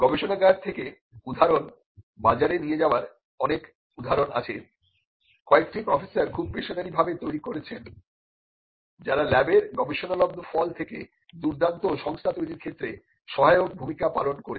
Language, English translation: Bengali, Now, there are many instances of taking the research from the lab to the market and some of these are being done very professionally by professors who have been instrumental from taking the research from the labs to create great companies